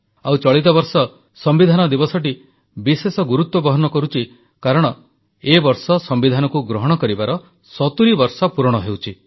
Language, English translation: Odia, This year it is even more special as we are completing 70 years of the adoption of the constitution